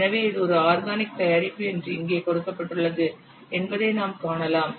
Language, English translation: Tamil, So, you can see that here it is given that it is organic product